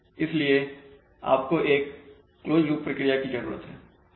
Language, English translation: Hindi, so we need a closed loop procedure